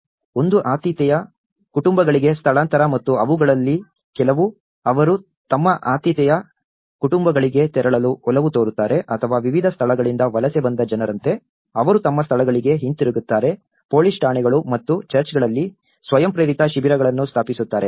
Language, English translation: Kannada, One is move to the host families and some of them, they tend to move to their host families or like people who are migrants from different places, they go back to their places, setup spontaneous camps in police stations and churches